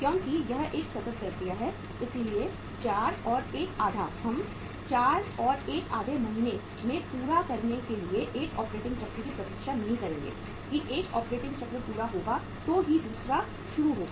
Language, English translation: Hindi, Because it is a continuous process so 4 and a half we are not going to wait for one operating cycle to complete in 4 and a half month then only the second will start